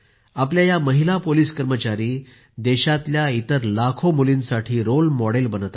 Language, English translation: Marathi, These policewomen of ours are also becoming role models for lakhs of other daughters of the country